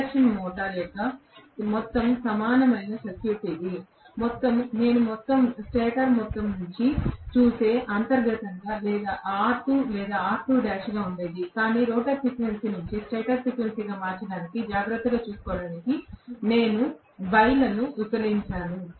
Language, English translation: Telugu, so this is the overall equivalent circuit of the induction motor where the resistance inherently what was there was R2 or R2 dash if I look at it from the stator side, but I have divided that by S to take care of conversion from the rotor frequency into stator frequency